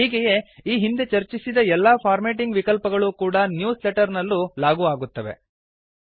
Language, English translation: Kannada, Hence,we see that all the formatting options discussed in the previous tutorials can be applied in newsletters, too